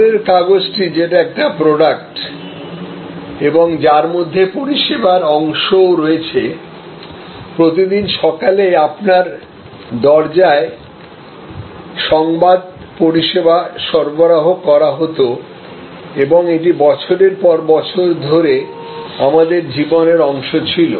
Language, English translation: Bengali, So, newspaper was a product which was also in a way embodied a service, news delivery service was delivered at your doorstep every morning and it was part of our life for years